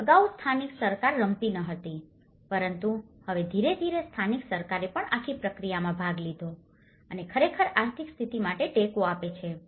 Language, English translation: Gujarati, And earlier local government was not playing but now, gradually local government also have taken part of the whole process and the economic status is actually, supporting to that